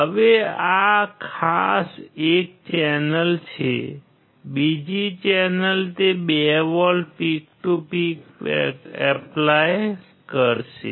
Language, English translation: Gujarati, Now, this particular is one channel; second channel he will apply 2 volts peak to peak